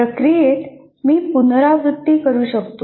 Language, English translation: Marathi, And in that process, I can iterate